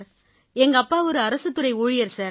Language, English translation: Tamil, My father is a government employee, sir